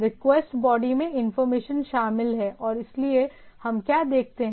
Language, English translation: Hindi, The request body contains the information and so and so, what we see